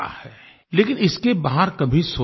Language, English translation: Hindi, No one ever thought beyond this